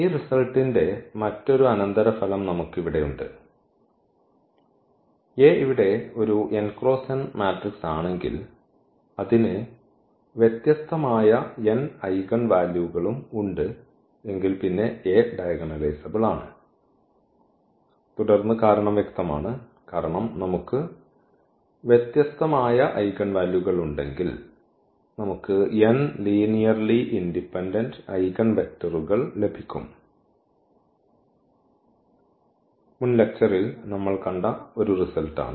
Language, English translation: Malayalam, And another subsequence of this result we can we can have here if n is an n cross n matrix here A and it has n distinct eigenvalues, then also A is diagonalizable and then reason is clear, because if we have n distinct eigenvalues, then we will also get n linearly independent eigenvectors; that is a result we have already seen in previous lecture that corresponding to distinct eigenvalues we have a linearly independent eigenvectors